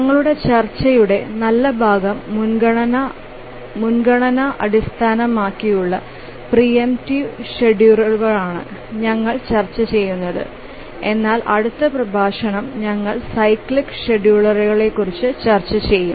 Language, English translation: Malayalam, We will discuss our good portion of our discussion is on the priority based preemptive schedulers but in the next lecture we'll discuss about the cyclic schedulers